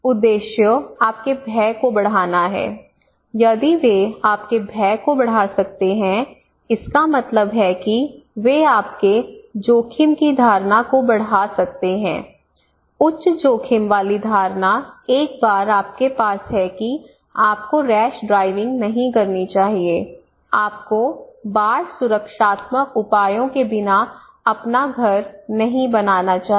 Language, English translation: Hindi, So fear, it is the target the objective is to increase your fear if they can increase your fear that means if they can increase your risk perception, high risk perception once you have then you should not do rash driving you should not build your house without flood protective measures